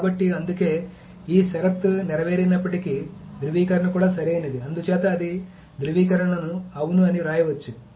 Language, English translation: Telugu, So that is why even if this condition is made, then the validation is also correct and so that is why it can return validation as yes